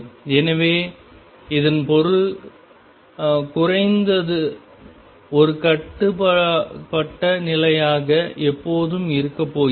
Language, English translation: Tamil, So, this means at least one bound state is always going to be there